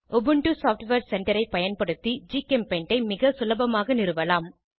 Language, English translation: Tamil, GChemPaint can be very easily installed using Ubuntu Software Center